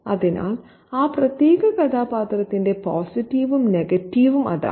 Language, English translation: Malayalam, So, that's the positive and the negative there about that particular character